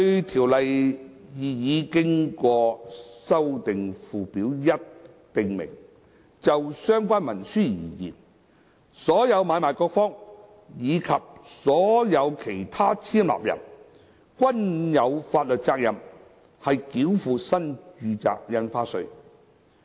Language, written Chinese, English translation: Cantonese, 《條例》擬議經修訂附表1訂明，就相關文書而言，"所有買賣各方，以及所有其他簽立人"均有法律責任繳付新住宅印花稅。, The proposed amended First Schedule to the Ordinance provides that all parties and all other persons executing the relevant instrument are liable for NRSD payment